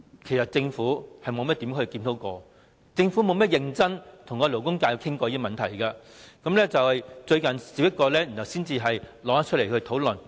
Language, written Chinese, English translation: Cantonese, 其間政府沒有進行甚麼檢討，也不曾認真地跟勞工界討論有關問題，到最近才提出來討論。, During this time the Government has neither conducted any review nor held any serious discussion with the labour sector and the issue was only recently raised for discussion